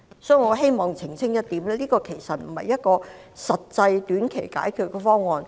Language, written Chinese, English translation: Cantonese, 所以，我希望澄清這其實不是一個實際的短期解決方案。, Therefore I wish to make it clear that this is indeed not a realistic short - term solution